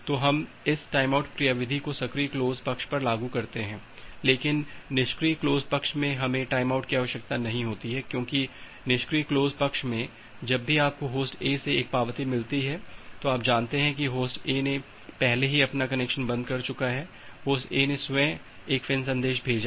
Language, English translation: Hindi, So, we apply this timeout mechanism at the active close side, but at the passive close side we do not require the timeout because, in the passive close side whenever you are getting an acknowledgement from Host A, you know that Host A has already closed it is connection, Host A has send a FIN message itself